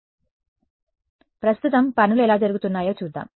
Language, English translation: Telugu, So, let us look at how things are done currently